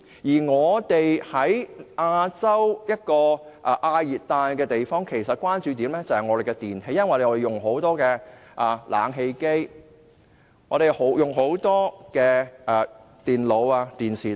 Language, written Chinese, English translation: Cantonese, 香港位於亞洲的亞熱帶地方，關注點是電器，因為香港人經常使用冷氣機、電腦、電視機等。, In the case of Hong Kong which is situated in the subtropical region of Asia the focus of attention is on electrical products because Hong Kong people often use air conditioners computers TVs and so on